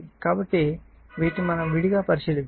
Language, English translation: Telugu, So, separately we are considering